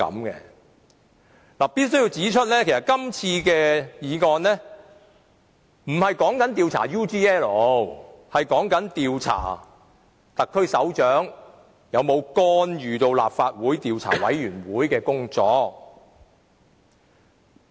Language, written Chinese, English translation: Cantonese, 我必須指出，這項議案不是要求調查 UGL 事件，而是要調查特區首長有否干預立法會專責委員會的工作。, I must point out that this motion does not seek to look into the UGL incident but only to find out if the head of the SAR has interfered with the affairs of the Select Committee of the Legislative Council